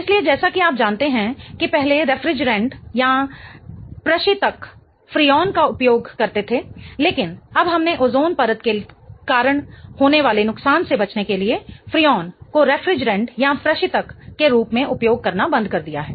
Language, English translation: Hindi, So, as you know, the refrigerants previously used to use Fri on, but now we have stopped using Fri on as a refrigerant in order to avoid the damage that is being caused to the ozone layer